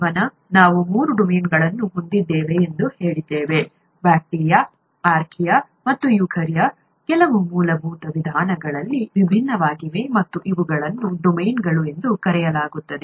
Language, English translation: Kannada, Life, we said had three domains; bacteria, archaea and eukarya, which are different in some fundamental ways, and these are called domains